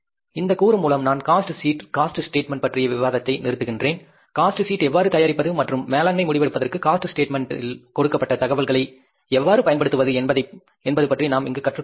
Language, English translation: Tamil, With this component, I stopped the discussion on the cost sheet, statement of the cost and we learned about how to prepare the cost sheet and how to use the information given in this statement of the cost for the management decision making